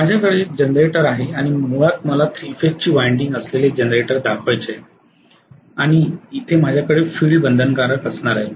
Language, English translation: Marathi, I have the generator here and let me show the generator basically with the 3 phase winding that is it and I am going to have the field binding here